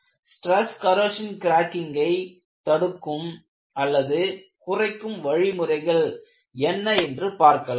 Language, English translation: Tamil, What are the methods that could be used to prevent stress corrosion cracking